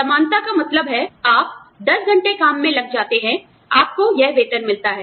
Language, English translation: Hindi, Equality means, you put in 10 hours of work, you get, this much salary